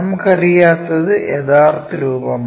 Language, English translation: Malayalam, What we do not know is true shape